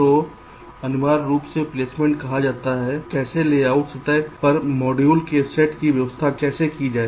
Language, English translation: Hindi, so essentially, placement says how to arrange set of modules on the layout surface